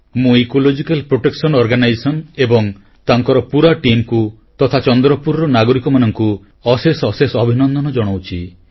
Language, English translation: Odia, I congratulate Ecological Protection Organization, their entire team and the people of Chandrapur